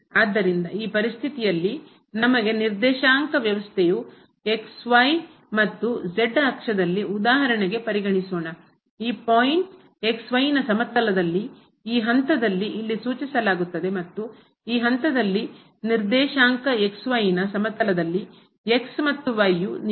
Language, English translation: Kannada, So, in this situation let us consider the coordinate system of and axis and for example, this is the point in the plane denoted by this point here and the coordinate of this point in the plane are given by and